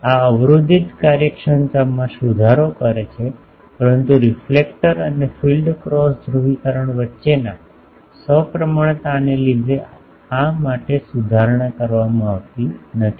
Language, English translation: Gujarati, This improves blocking efficiency, but due to non symmetry between reflector and field cross polarisation is not improved for this